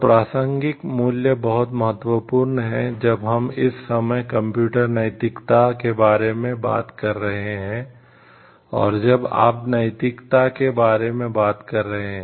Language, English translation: Hindi, So, for this the relevant values, which are very important time and again when we are discussing about the computer ethics and when you are talking about the nuclear ethics